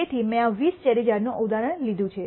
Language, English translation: Gujarati, So, I have taken this example of these 20 cherry trees